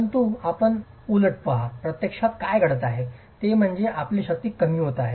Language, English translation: Marathi, But you look at the reverse, what's actually happening is your strength is decreasing